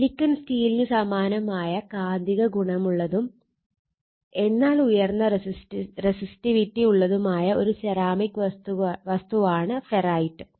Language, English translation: Malayalam, So, ferrite is a ceramic material having magnetic properties similar to silicon steel, but having high resistivity